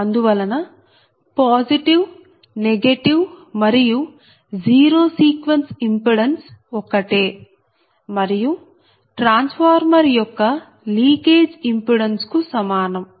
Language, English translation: Telugu, therefore the positive, negative and zero sequence impedance are same and equal to leakage impedance of the transformer